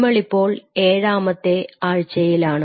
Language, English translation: Malayalam, So, we are in to the 7th week